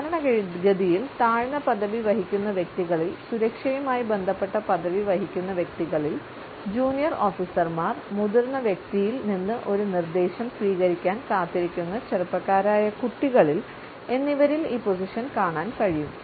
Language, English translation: Malayalam, Normally, we come across this standing position in those people who are subordinate, who hold a security related position, amongst junior officers, young school children who are waiting to receive a direction from a senior person